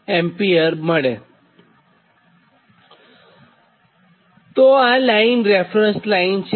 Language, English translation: Gujarati, this is your reference line